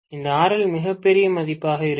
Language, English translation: Tamil, This RL is going to be a very very large value